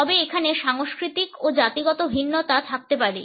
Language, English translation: Bengali, However, there may be cultural and ethnic variations